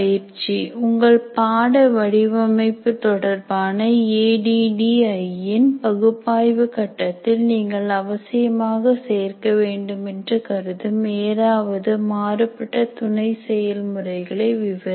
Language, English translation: Tamil, Describe any different sub processes you consider necessary to include in the analysis phase of ADD with respect to designing your course